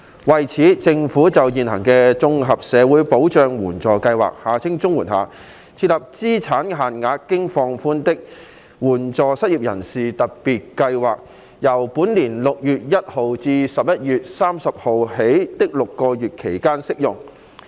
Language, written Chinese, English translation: Cantonese, 為此，政府在現行綜合社會保障援助計劃下，設立資產限額經放寬的"援助失業人士特別計劃"，由本年6月1日至11月30日的6個月期間適用。, In view of this the Government has implemented under the existing Comprehensive Social Security Assistance Scheme CSSA a Special Scheme of Assistance to the Unemployed with relaxed asset limits which is applicable for the six - month period from 1 June to 30 November this year